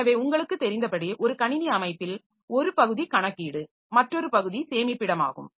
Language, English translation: Tamil, So, as you know in a computer system one part of it is the computation, another part is the storage